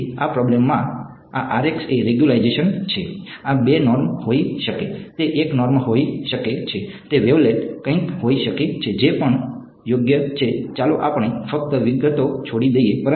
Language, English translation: Gujarati, So, in this problem this Rx is the regularization, this can be 2 norm, it can be 1 norm, it can be wavelet something whatever right let us just leave out leave the details out